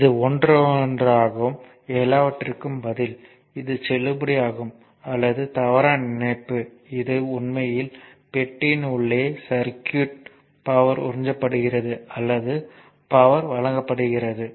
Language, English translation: Tamil, So, this is one then and answer for everything, this is a valid or invalid connection it is actually circuit inside the box absorbing or supplying power right